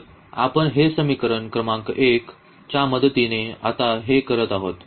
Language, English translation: Marathi, So, here we will just subtract the equation number 1 from equation number 3